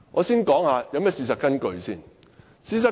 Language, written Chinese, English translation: Cantonese, 事實根據是甚麼？, What are the facts of the case?